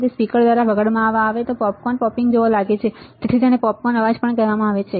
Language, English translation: Gujarati, And played through a speaker it sounds like popcorn popping, and hence also called popcorn noise all right